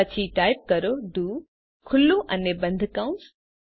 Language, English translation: Gujarati, Then Type do Open and close braces